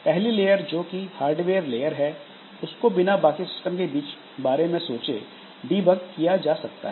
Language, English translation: Hindi, So, first layer can be debug without any concern for the rest of the system